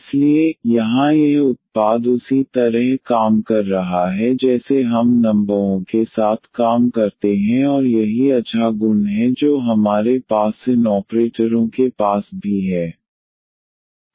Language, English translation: Hindi, So, here this product is working as the same as we work with the numbers and that is the nice property we have with these operators also